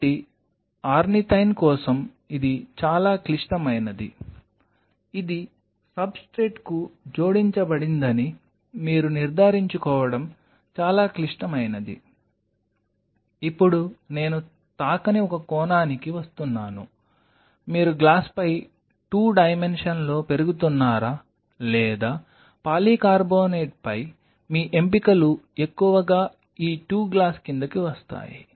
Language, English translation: Telugu, So, for ornithine this is pretty critical that you ensure that it attached to the substrate, now coming to one aspect which I have not touched is are you growing in 2 dimension on a glass or on polycarbonate your options are mostly fall under these 2 glass or polycarbonate if you are using polycarbonate which is a sterile polycarbonate 15 mm or 90 mm or you know 60 mm dishes which comes